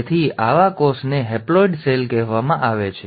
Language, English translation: Gujarati, So such a cell is called as a haploid cell